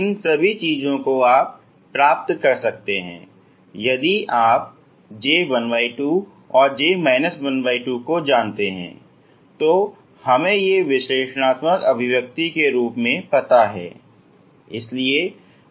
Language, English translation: Hindi, All these things you can get just if you know j half and j minus half that we know as analytical expressions